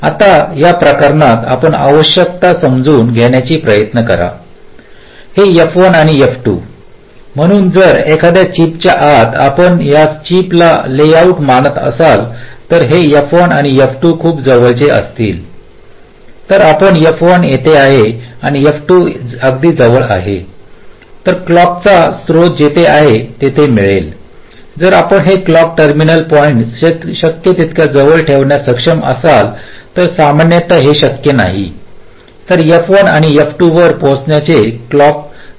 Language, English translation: Marathi, so if inside a chip, if you consider this as the layout of the chip, if this, this f one and f two are very close together lets say f one is here and f two is very close together then wherever the clock source is, the, the time taken for the clock to reach f one and f two will obviously be approximately equal if we are able to keep this clock terminal points as close as possible